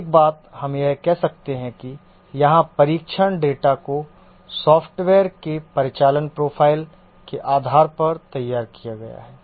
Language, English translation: Hindi, One thing we can say that the test data here, these are designed based on the operational profile of the software